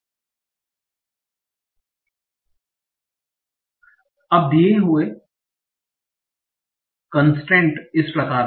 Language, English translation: Hindi, Now, the constraint given is as follows